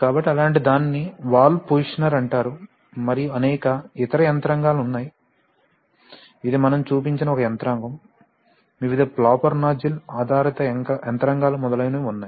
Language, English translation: Telugu, So such a thing is called a valve positioner and there are various other mechanisms, this is just one mechanism which we have shown, there are various or the flapper nozzle based mechanisms etc